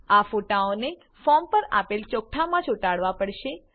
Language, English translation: Gujarati, These photos have to pasted on the form in the spaces provided